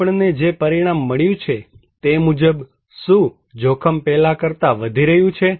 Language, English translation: Gujarati, What result we have found, is risk increasing than before